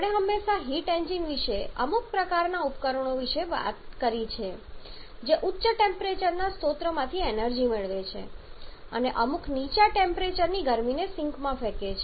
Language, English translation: Gujarati, Like say we have always talked about heat engines as some kind of devices which receives energy from high temperature source and rejects heat to some low temperature sink